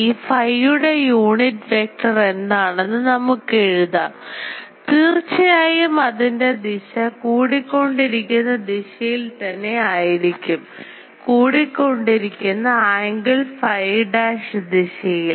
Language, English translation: Malayalam, The unit vector for this phi we can write; obviously, it will be directed in this the increasing direction increasing of the angle phi dash